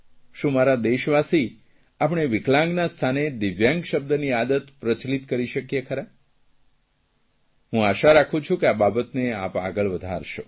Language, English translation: Gujarati, My dear countrymen can we make it a habit to use the word 'Divyang' and make it popular